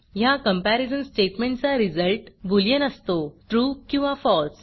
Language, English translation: Marathi, The result of this comparison statement is a boolean: true or false